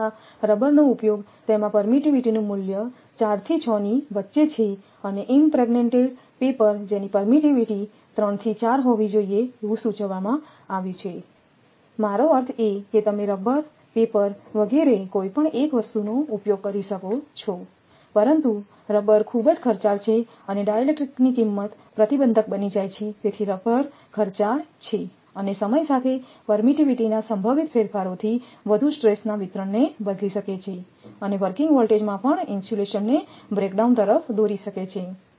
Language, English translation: Gujarati, Although, use of rubber, it has permittivity value in between 4 to 6 and impregnated paper that permittivity have to 3 to 4 have been suggested I mean you can if you can use rubber, paper, etcetera, any one thing, but rubber is very expensive and the cost of dielectric become prohibitive rubber is expensive more over possible changes of permittivity with time may alter the stress distribution and lead to insulation breakdown even at the working voltage